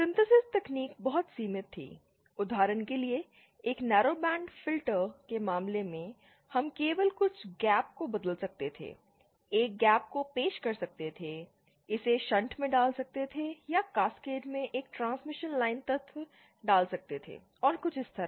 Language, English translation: Hindi, The synthesis techniques were very limited, for example in a narrow band filter case, we could only change some gap, introduce a gap, put it in shunt or inÉ Or put a transmission line element in Cascade and something like this